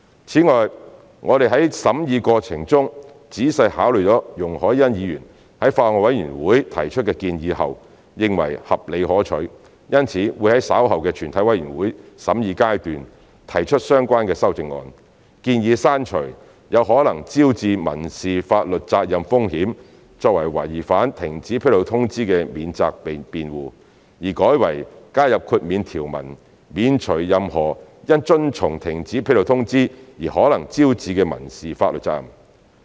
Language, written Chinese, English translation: Cantonese, 此外，我們在審議過程中仔細考慮了容海恩議員在法案委員會提出的建議後，認為合理可取，因此會在稍後的全體委員會審議階段提出相關修正案，建議刪除有可能招致民事法律責任風險作為違反停止披露通知的免責辯護，而改為加入豁免條文，免除任何因遵從停止披露通知而可能招致的民事法律責任。, In addition we have carefully considered the suggestions made by Ms YUNG Hoi - yan in the Bills Committee during the scrutiny process as we considered them to be reasonable and desirable . A relevant amendment will therefore be proposed at the Committee stage later on to remove the risk of incurring civil liability as a defence for breaches of the cessation notice and instead add an exemption from any civil liability that may be incurred as a result of complying with the cessation notice